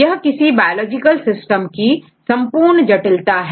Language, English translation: Hindi, So, this is the complexity of the biological systems